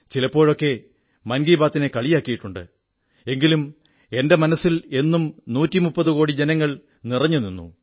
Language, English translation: Malayalam, At times Mann Ki Baat is also sneered at but 130 crore countrymen ever occupy a special pleace in my heart